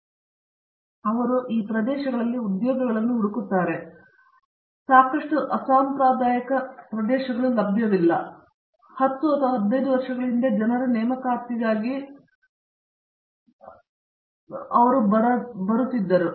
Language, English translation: Kannada, So, they do find jobs in these areas and there are lot of unconventional areas which were are not available letÕs say, 10 or 15 years ago are coming up with for hiring of these people